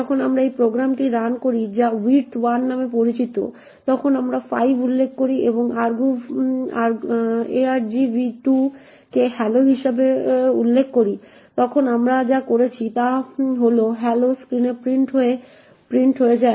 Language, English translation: Bengali, When we run this program which is known as width1, we specify 5 and we specify argv2 as hello then what we did is that hello gets printed on the screen